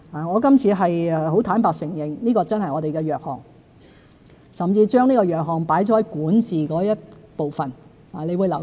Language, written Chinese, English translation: Cantonese, 我今次很坦白地承認，這真是我們的弱項，我甚至在施政報告中管治的部分提述這個弱項。, This time I frankly admit that this is really our area of weakness and I have even mentioned such weakness in the governance chapter in the Policy Address